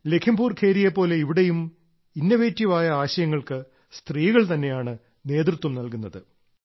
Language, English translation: Malayalam, Like Lakhimpur Kheri, here too, women are leading this innovative idea